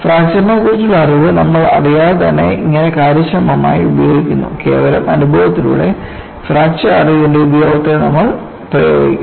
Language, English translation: Malayalam, So, this is about how we efficiently use without knowing the knowledge of fracture; by purely experience, you employ the utility of fracture knowledge